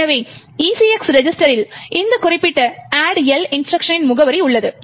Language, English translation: Tamil, Thus, the ECX register contains the address of this particular instruction, the addl instruction